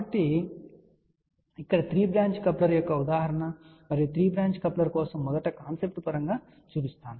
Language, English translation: Telugu, So, here is an example of 3 branch coupler and for this 3 branch coupler let me first show the concept point of view